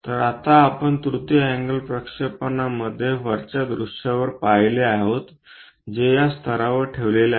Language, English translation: Marathi, So, we will see in third angle projection the top view now, placed at this level